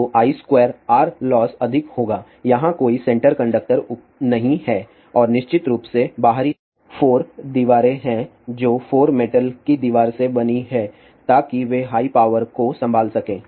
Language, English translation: Hindi, So, I square r losses will be more here there is a no center conductor and of course, the outer 4 walls are there which are made a 4 metallic wall so they can handle higher power